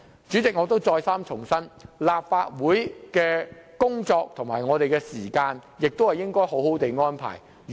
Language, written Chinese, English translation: Cantonese, 主席，我再三重申，立法會的工作和時間應當妥善安排。, President I must reiterate repeatedly that the work and time of the Legislative Council should be properly arranged